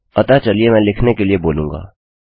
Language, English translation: Hindi, So, Ill say for writing